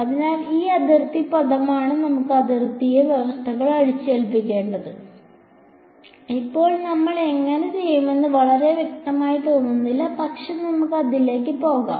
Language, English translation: Malayalam, So, that boundary term is where we will get to impose the boundary conditions, right now it does not seen very clear how we will do, but let us go towards it